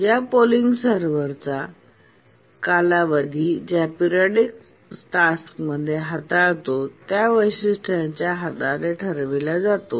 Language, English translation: Marathi, And the period of this periodic server is decided based on the different sporadic tasks that it handles